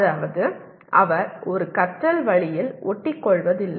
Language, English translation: Tamil, That means he does not stick to one way of learning